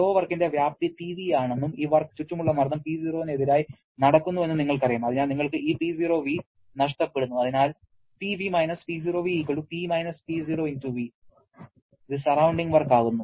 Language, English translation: Malayalam, We know the magnitude of flow work is Pv and as this work is being done against the surrounding pressure P0, so you are losing this P0v, so P P0*v is the surrounding work